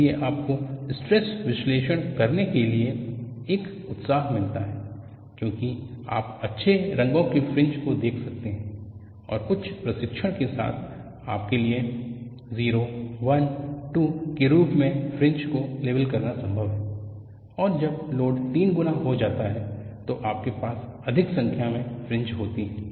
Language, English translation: Hindi, So, you get an enthusiasm to do stress analysis because you can see nice colored fringes, and with some training, it is possible for you to label the fringes as 0, 1, 2, and when the load istripled, you have higher number of fringes